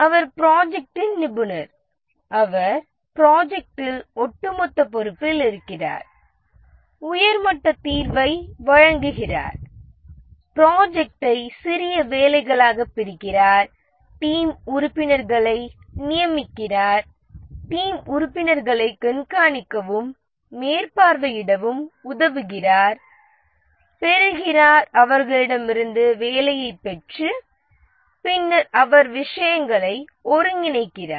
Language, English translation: Tamil, He is in overall charge of the project, provides the high level solution, divides the project into small pieces of work, assigns to the team members, helps them the team members, monitors and supervises them, and then gets the work from them and integrates